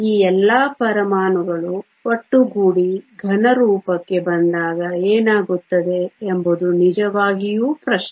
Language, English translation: Kannada, The question really is what happens when all these atoms come together to form a solid